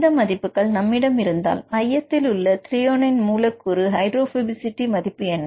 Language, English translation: Tamil, If you have these numbers, what is the hydrophobicity value for the central threonine